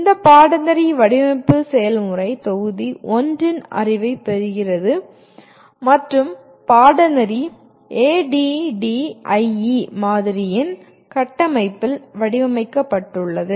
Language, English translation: Tamil, This course design process assumes the knowledge of module 1 and the course is designed in the framework of ADDIE Model